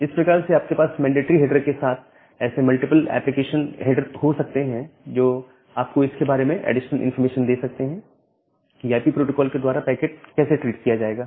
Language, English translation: Hindi, So, that way, you can have such multiple extension header along with the mandatory header which will give you additional information about this, how the packet will be treated by the IP protocol